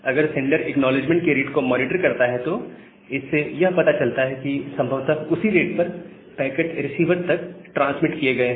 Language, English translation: Hindi, Now, if sender monitors the rate of acknowledgement that gives an idea that well, possibly at that rate, the packets are being transmitted to the receiver